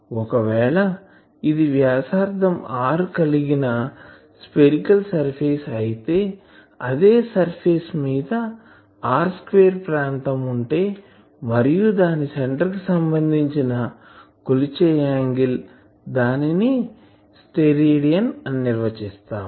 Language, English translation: Telugu, So, if this is a spherical surface of radius r , then an on the surface an area r square the angle it subtends at the centre that is called one Stedidian , that is the definition